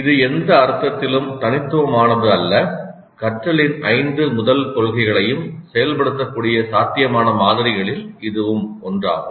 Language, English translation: Tamil, This is one of the possible models which will implement all the five first principles of learning